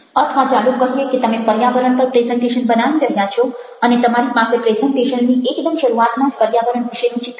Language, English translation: Gujarati, or you are making presentation about, lets say, ah, environment, and you have an image about environment right at the beginning of your presentation